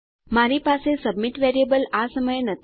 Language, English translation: Gujarati, I dont have a submit variable at the moment